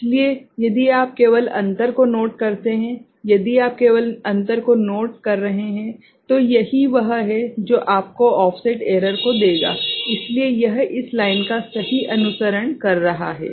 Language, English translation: Hindi, So, if you just note the difference, if you just note the difference ok, so this is what will give you the offset error right, because this is following this line right